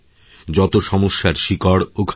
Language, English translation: Bengali, It is the root cause of this problem